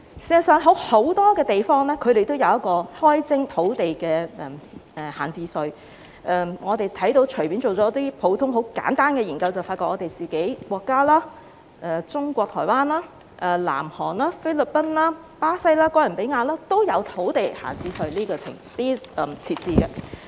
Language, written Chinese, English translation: Cantonese, 事實上，很多地方也有開徵土地閒置稅，我們隨便進行一些普通、簡單的研究便會發現，我們的國家、中國台灣、南韓、菲律賓、巴西、哥倫比亞均有設置土地閒置稅。, In fact many places have also introduced an idle land tax . The ordinary and simple studies done by us have shown that our country Taiwan of China South Korea the Philippines Brazil and Columbia have all introduced idle land tax